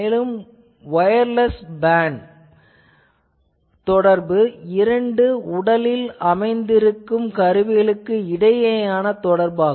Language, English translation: Tamil, Then wireless BAN body area network communication between two body worn devices they are also people are using it